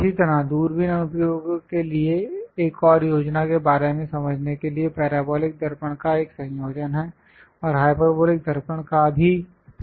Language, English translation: Hindi, Similarly, for telescopic applications and understanding about plan is a combination of parabolic mirrors and also hyperbolic mirrors will be used